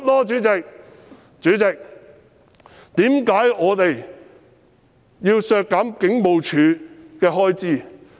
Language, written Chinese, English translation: Cantonese, 主席，為何我們要削減警務處的開支？, Chairman why do we have to reduce the expenditure for HKPF?